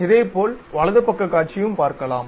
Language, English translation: Tamil, Similarly, right side view you are going to see